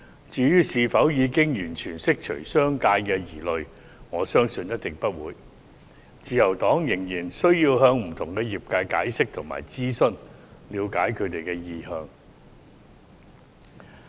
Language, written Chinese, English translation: Cantonese, 至於是否已經完全釋除商界的疑慮，我相信一定不是，自由黨仍然需要向不同的業界解釋及諮詢，以了解他們的意向。, As to whether the concerns of the business sector have been fully addressed I believe the answer is surely in the negative and the Liberal Party still needs to explain to and consult different industries to understand their intentions